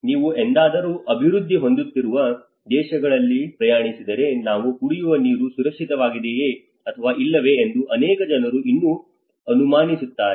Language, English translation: Kannada, Like if you ever travelled in the developing countries many people even still doubt whether the water we are drinking is safe or not